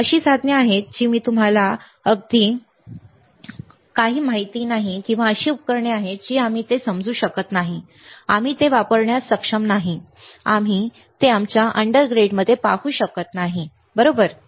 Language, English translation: Marathi, There are devices that we even do not know right, and there are there are equipment that we are we are not able to understand we are not able to utilize it we are not able to look at it in our undergrads, right